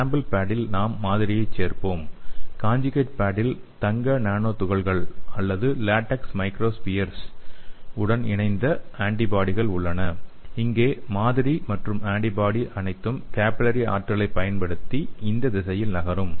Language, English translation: Tamil, so in the sample pad we will be adding the sample and in the conjugate pad, it contains antibodies conjugated to the gold nano particles or latex microspheres and here the sample and antibody everything move in this direction using the capillary force